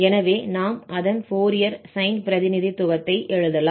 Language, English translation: Tamil, So, we have the Fourier integral representation of the function